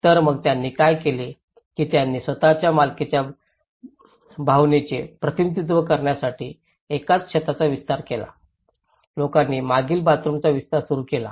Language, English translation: Marathi, So, what did it was they extended one single roof to represent the sense of belonging, people started in expanding the kitchens at the rear